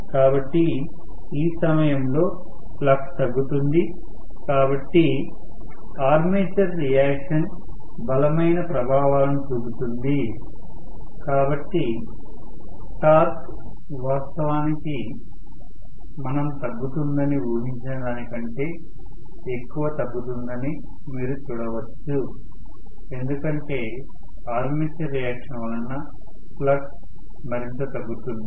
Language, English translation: Telugu, So, at this point flux is decreased so armature reaction will show stronger effects, so, you may see that the torque actually decreases more than what we anticipated to decrease because armature reaction is going to decrease the flux further and further as it is